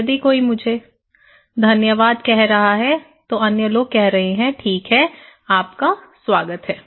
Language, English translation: Hindi, If someone is telling me thank you, other people are saying that okay you were welcome